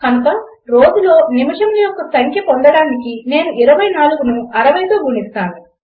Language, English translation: Telugu, So I multiply 24 by 60 to get the number of minutes in a day